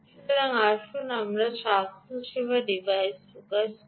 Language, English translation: Bengali, so let us focus on this healthcare device